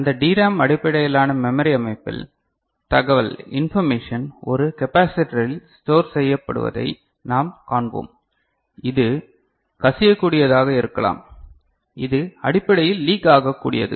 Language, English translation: Tamil, And at that there we will see that in that DRAM based w memory organization the information is stored in a capacitor, which could be leaky, which essentially is leaky